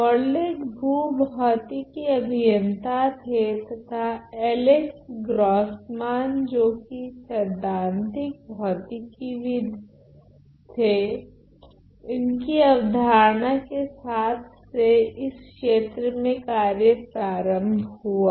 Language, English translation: Hindi, Morlet was a geophysical engineer; his idea along with Alex Grossmann who was a theoretical physicist was the start of this area